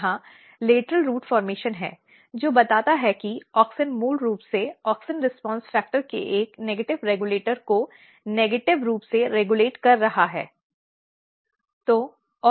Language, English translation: Hindi, So, which suggest that auxin is basically negatively regulating a negative regulator of auxin response factor